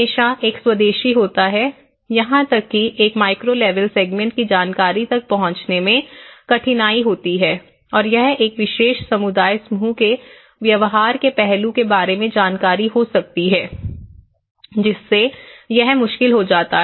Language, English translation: Hindi, So, there is always an indigenous, the difficulties in accessing the information of even a micro level segment it could be an information about a behavioural aspect of a particular community group, so that becomes difficult